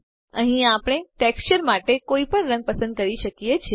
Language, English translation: Gujarati, Here we can select any color for our texture